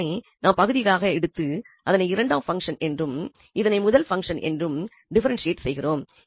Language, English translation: Tamil, So, we have differentiated this by parts treating this as second function, this is first function